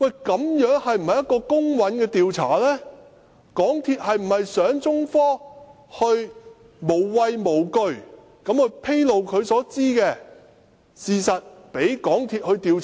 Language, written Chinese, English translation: Cantonese, 港鐵公司是否想中科無畏無懼地披露它所知的事實，讓港鐵公司調查？, Does MTRCL actually want China Technology to disclose what they know without fear for MTRCL to conduct an investigation?